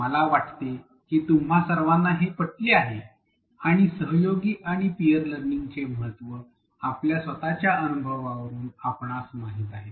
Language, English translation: Marathi, I think they are all convinced and we know from our own experience the importance of collaborative and peer learning